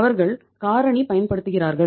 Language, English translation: Tamil, They use the factoring